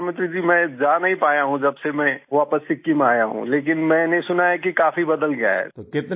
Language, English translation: Hindi, Ji Prime Minister ji, I have not been able to visit since I have come back to Sikkim, but I have heard that a lot has changed